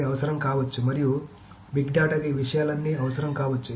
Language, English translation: Telugu, So the big data may require all of these things